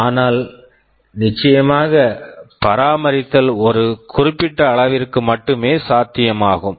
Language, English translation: Tamil, But of course, maintainability is possible only to a limited extent